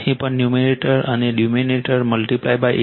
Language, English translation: Gujarati, Here also numerator and denominator you multiply by 8